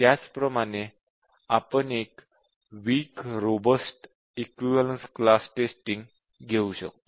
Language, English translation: Marathi, Similarly, we can have a Strong Robust Equivalence Class Testing